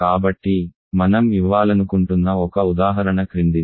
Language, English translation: Telugu, So, one example I want to give is the following